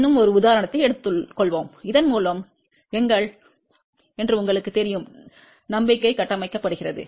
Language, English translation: Tamil, Let us take a one more example so that you know that our confidence gets built up